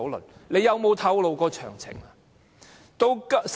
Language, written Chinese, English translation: Cantonese, 但是，政府有否透露過詳情？, However has the Government provided us with such details?